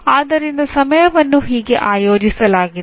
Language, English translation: Kannada, So that is how the hours are organized